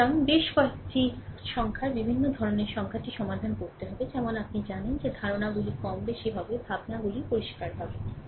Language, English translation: Bengali, So, we have to solve a several numericals varieties type of numerical, such that your ah you know your idea the thoughts will be more or less your thoughts will be clear, right